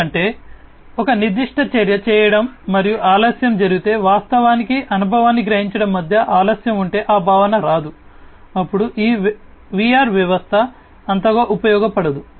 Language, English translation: Telugu, Because otherwise that feeling will not come if there is a delay between performing a certain action and actually getting the experience the perception if there is a delay, then you know this VR system is not going to be much useful